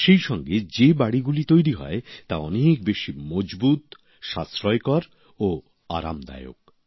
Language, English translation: Bengali, Along with that, the houses that are constructed are more durable, economical and comfortable